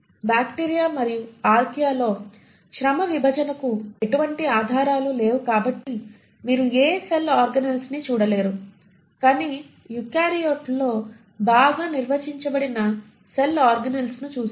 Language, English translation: Telugu, There is no evidence of any division of labour in bacteria and Archaea so you do not see any cell organelles, but you see very well defined cell organelles in eukaryotes